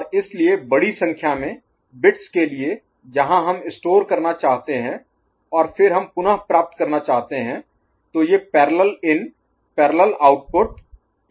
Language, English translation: Hindi, And so for larger number of bits where we want to store and then we retrieve, these parallel in parallel output may be an issue ok